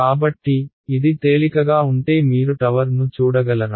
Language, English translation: Telugu, So, if this were light would you be able to see the tower